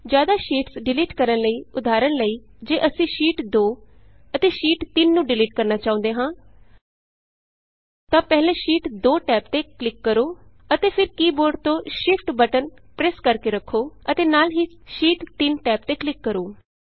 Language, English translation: Punjabi, In order to delete multiple sheets, for example, if we want to delete Sheet 2 and Sheet 3 then click on the Sheet 2 tab first and then holding the Shift button on the keyboard, click on the Sheet 3tab